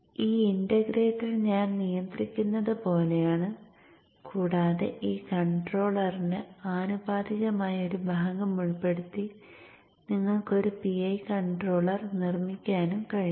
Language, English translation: Malayalam, So this integrator is like an eye control and you can also make a PI controller by also including a proportional part of the for this controller